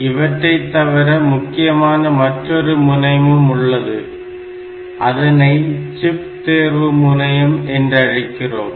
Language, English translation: Tamil, One of the important lines that we have is known as the chip select line